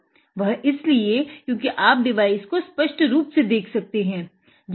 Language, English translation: Hindi, It is because; so you can see the device very clearly